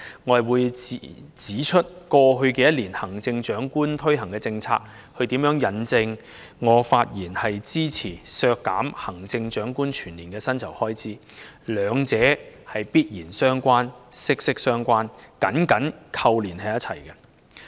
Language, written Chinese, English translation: Cantonese, 我會指出為何過去一年行政長官推行的政策，是與我這次發言支持削減行政長官全年薪酬開支預算相關，兩者互相緊扣。, I will point out why the policies introduced by the Chief Executive in the past year are related to my speech in support of the proposed deduction of the expenditure of the annual emoluments for the position of Chief Executive showing how close they are interrelated